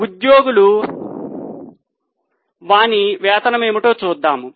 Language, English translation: Telugu, Now, let us see what employees get for it, that is their wages